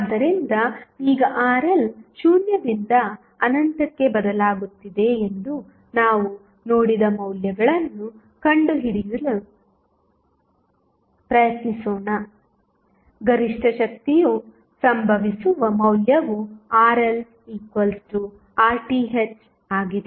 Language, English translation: Kannada, So, now, let us try to find out the values we have seen that the Rl is changing between 0 to infinity, the value which at which the maximum power occurs is Rl is equal to Rth